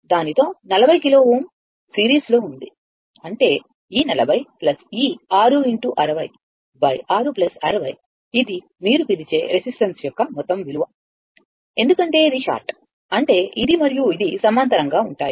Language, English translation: Telugu, With that, 40 kilo ohm are in series; that means, this 40 plus this 6 into 60 divided by your 6 plus 60; this is the total your what you call this is that your total value of the resistance, right